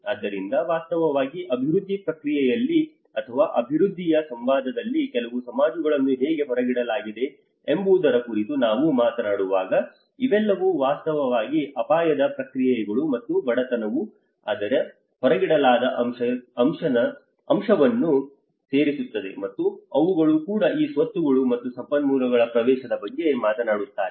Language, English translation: Kannada, So in fact, when we talk about how certain societies have been excluded in the development process or in the dialogue of the development you know these all things are actually the risk processes and poverty adds much more of the excluded aspect of it, and they also talks about the access to these assets and the resources